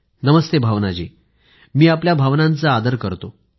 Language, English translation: Marathi, Namaste Bhawnaji, I respect your sentiments